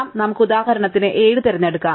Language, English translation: Malayalam, So, let us for example pick 7